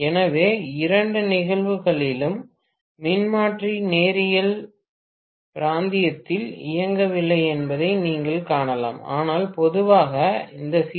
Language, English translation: Tamil, So, in both the cases you may find that the transformer is not working in the linear region, got it